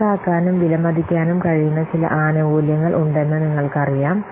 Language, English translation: Malayalam, So, we have known that there are some benefits which can be quantified and valued